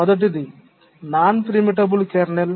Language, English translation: Telugu, The first is non preemptible kernel